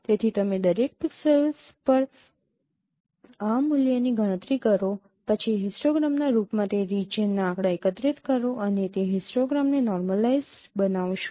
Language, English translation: Gujarati, So you compute this value at each pixels then collect the statistics over that region in the form of an histogram and normalize that histogram